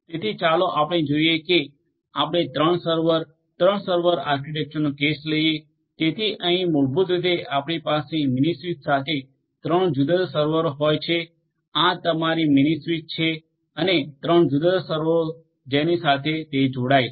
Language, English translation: Gujarati, So, let us say that you take the case of a 3 server, 3 server architecture so, here basically what you are going to have is one mini switch with three different servers 3 different servers this is your mini switch and 3 different servers to which it connects